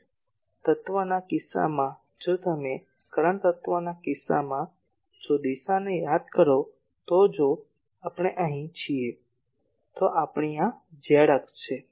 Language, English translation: Gujarati, In case of current element, if you recall in case of current element the direction so, if we are here this is our z axis